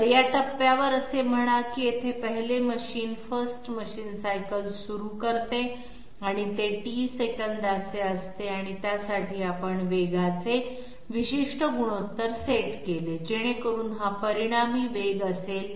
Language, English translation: Marathi, So at this point say first machine sorry here starts the 1st machine cycle and it is of T seconds and for that we set a particular velocity ratio so that this is the resultant velocity